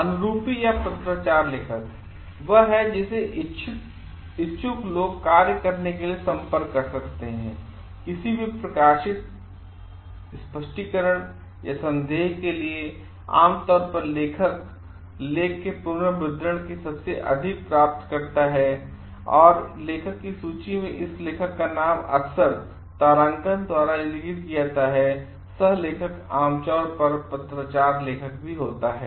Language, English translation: Hindi, Corresponding author; is the one whom interested people can contact with the work published for any clarifications requiring or doubts, receives typically the most of the reprints of the authored article, often an asterisk indicates the corresponding author by his or her name in the author list, a coauthor is usually the corresponding author